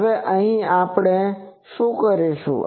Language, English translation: Gujarati, Now, here what we will do